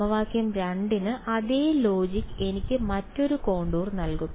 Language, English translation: Malayalam, For equation 2, the same logic will give me a different contour right